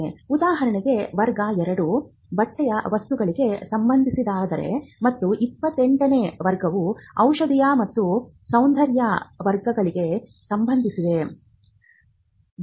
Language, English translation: Kannada, For example, class 2 deals with articles of clothing, and class 28 deals with pharmaceuticals and cosmetics